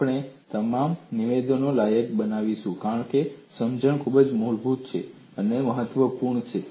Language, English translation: Gujarati, We would qualify all these statements because this understanding is very fundamental and it is important